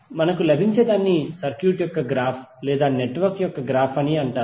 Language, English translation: Telugu, So what we get is called the graph of the circuit or graph of the network